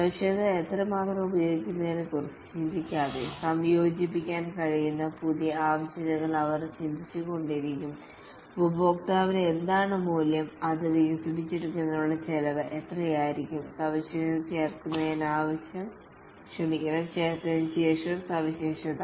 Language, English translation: Malayalam, They just keep on thinking new features which can be incorporated without thinking of whether how much the feature will be used, what will be the value to the customer, what will be the cost of developing it, feature after feature get added